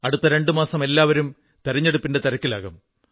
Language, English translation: Malayalam, In the next two months, we will be busy in the hurlyburly of the general elections